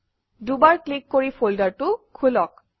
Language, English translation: Assamese, Double click on it and open it